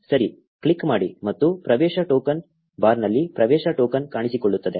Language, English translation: Kannada, Click on ok and you will have the access token appear in the access token bar